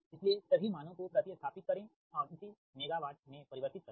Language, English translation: Hindi, so substitute all the value and convert it to megawatt